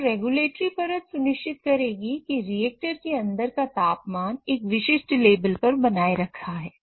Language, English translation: Hindi, So, the regulatory layer will ensure that the temperature inside this reactor is maintained at a particular level